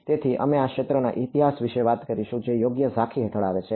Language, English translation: Gujarati, So, we will talk about the history of this field which comes under the overview right